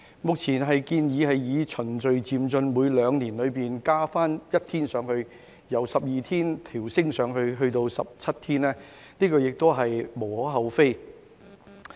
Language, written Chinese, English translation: Cantonese, 目前建議循序漸進地每兩年增加一天，由12天調升至17天，這亦是無可厚非。, It is also justifiable to increase the number of holidays from 12 days to 17 days with one additional day every two years in a gradual and orderly manner as presently proposed